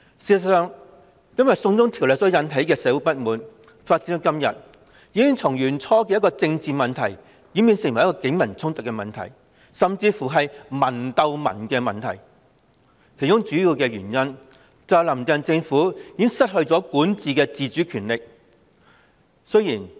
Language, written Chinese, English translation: Cantonese, 事實上，因"送中條例"而引起的社會不滿發展至今，已從最初的政治問題演變成警民衝突的問題，甚至是"民鬥民"的問題，其主要原因是"林鄭"政府已失去管治的自主權力。, In fact given the developments to date the social discontent triggered by the China extradition bill has evolved from a political issue in the beginning to an issue of clashes between the Police and the people or even an issue of the people fighting against the people the main reason being that the Carrie LAM Administration has lost autonomy in governance